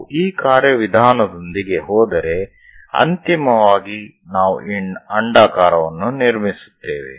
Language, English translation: Kannada, If we go with this procedure, finally we will construct this ellipse